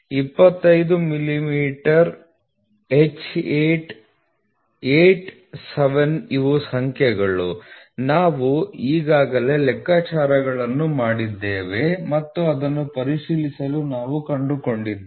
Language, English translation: Kannada, 25 millimeter H 8; 8 7 these are numbers which we have already done calculations and we have figured it out to be checked